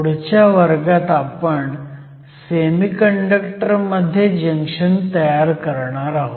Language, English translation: Marathi, Next, let us move to a Metal Semiconductor Junction